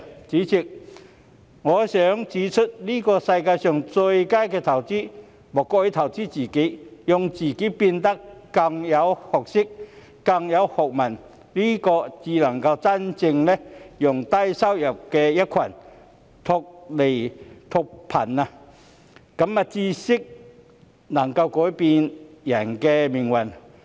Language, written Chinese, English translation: Cantonese, 主席，我想指出，在這世界上最佳的投資，莫過於投資自己，讓自己變得更有學識、更有學問，這才能真正讓低收入的一群脫貧，因為知識能夠改變人的命運。, President I wish to point out that there is no investment in the world which is better than the investment in oneself making oneself more knowledgeable and educated . Only in this way can the low - income group be genuinely lifted out of poverty because knowledge can change ones fate